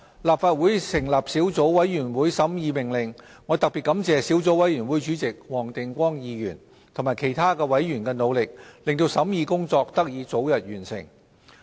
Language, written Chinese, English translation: Cantonese, 立法會成立小組委員會審議《命令》，我特別感謝小組委員會主席黃定光議員及其他委員的努力，令審議工作得以早日完成。, The Legislative Council formed a Subcommittee to scrutinize the Order . I would like to particularly thank Mr WONG Ting - kwong Chairman of the Subcommittee and other members for their efforts which facilitated the early completion of the scrutiny work